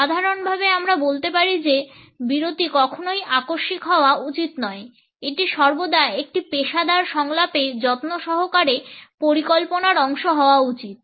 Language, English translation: Bengali, In general we can say that the pause should never be accidental it should always be a part of careful planning in a professional dialogue